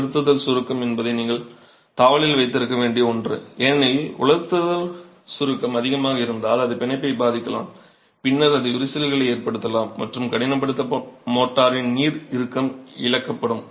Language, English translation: Tamil, Drying shrinkage is something that you need to keep tab on because if there is too much of drying shrinkage it can affect the bond and then it can also have cracks and the water tightness of the hardened motor is lost